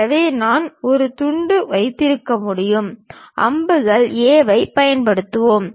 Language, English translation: Tamil, So, I can have a slice, let us use arrows A A